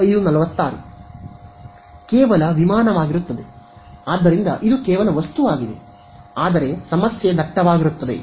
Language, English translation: Kannada, Just the aircraft right; so, it is just the object, but the problem is dense